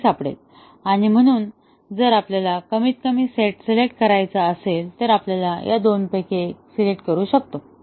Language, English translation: Marathi, And therefore, if we want to choose the minimal set, we can choose either of these two